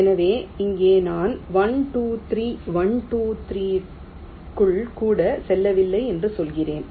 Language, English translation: Tamil, so here i am saying that we are not even going into one, two, three, one, two, three, like that